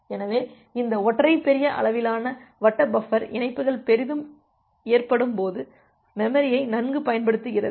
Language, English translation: Tamil, So, this single large size circular buffer, it provides a good use of memory when the connections are heavily loaded